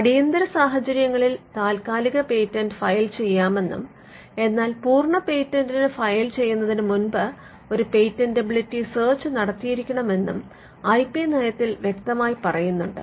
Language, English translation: Malayalam, So, the IP policy can clearly spell out though the provisional had to be filed in a situation of emergency the policy can spell out that there has to be a patentability search conducted before a complete can be filed